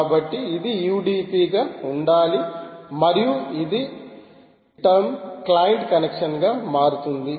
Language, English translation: Telugu, so it has to be u d p all through and it, in tern, converts into a client connection and so on